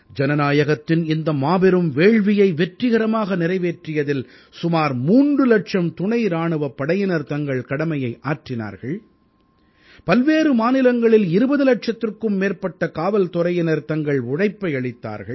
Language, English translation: Tamil, In order to successfully conclude this 'Mahayagya', on the one hand, whereas close to three lakh paramilitary personnel discharged their duty; on the other, 20 lakh Police personnel of various states too, persevered with due diligence